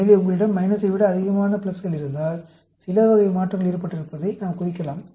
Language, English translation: Tamil, So, if you have more of pluses than minus, we can indicate that some type of change has occurred